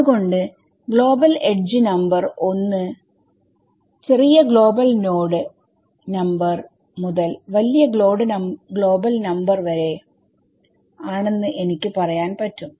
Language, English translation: Malayalam, So, I can say that global edge number 1 is from smaller global node number to larger global node number